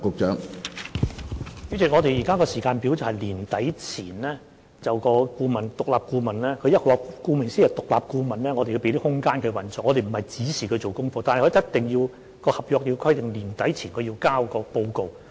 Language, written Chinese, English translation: Cantonese, 主席，我們現在的時間表是在年底前，獨立顧問——顧名思義，既然是獨立顧問，我們須給它空間來運作，我們不是指示它做功課的——但合約規定必須在年底前提交報告。, President our present timetable is that by the end of this year the independent consultant―as the term shows since the consultant is independent we must give it room to operate and we do not tell it how to do the assignment―but the contract specifies that a report must be submitted by year end